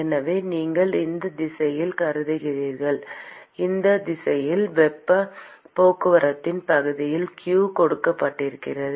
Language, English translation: Tamil, So q is given by the area of heat transport in whichever direction you are considering